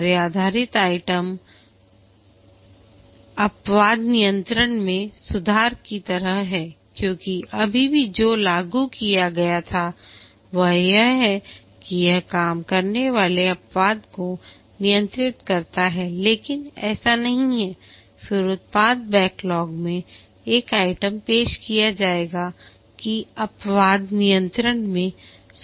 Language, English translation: Hindi, The task based items are like improve exception handling because still now what was implemented is that the exception handling it works but not that well and then an item in the product backlog will be introduced is that improve the exception handling